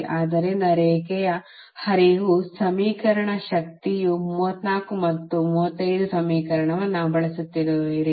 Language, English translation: Kannada, so line flows, equation, power flows, all the you have using equation thirty four and thirty five, right